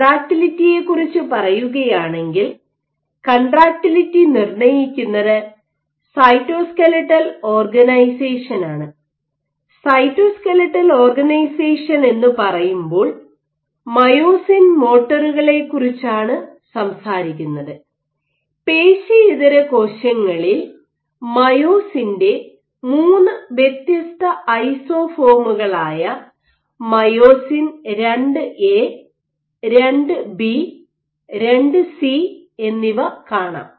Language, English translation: Malayalam, Now, if you talk about contractility, contractility is dictated by cytoskeletal organization and when I say cytoskeletal organization, I am talking about myosin motors, in non muscle cells you have 2 or 3 different isoforms of myosin II A, II B, II C these localized in spatially distinct manner